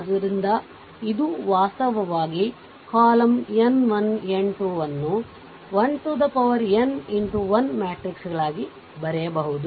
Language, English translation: Kannada, So, it is actually column n 1, n 2 we can write n 1 ah n into 1 matrix, right matrices